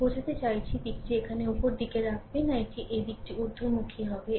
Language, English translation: Bengali, I mean direction will be upward not putting here this direction of this one will be upward